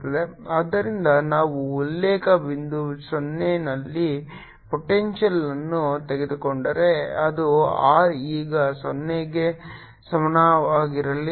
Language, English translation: Kannada, so so if we take potential at the difference point zero, let it be r equal to zero, so we have v